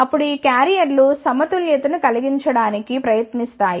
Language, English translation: Telugu, Then these carriers will try to make the equilibrium